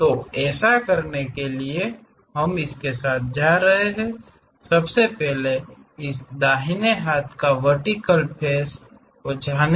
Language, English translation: Hindi, So, to do that, we are going to first of all learn this right hand vertical face